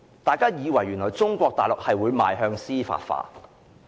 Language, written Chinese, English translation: Cantonese, 大家以為中國大陸會邁向司法化。, People thought that Mainland China would develop towards judicialization